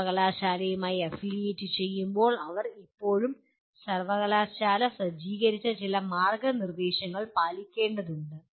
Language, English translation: Malayalam, When they are affiliated to university, they still have to follow some guidelines set up by the university